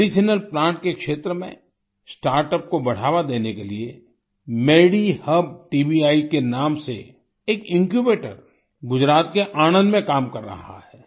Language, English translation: Hindi, To promote startups in the field of medicinal plants, an Incubator by the name of MediHub TBI is operational in Anand, Gujarat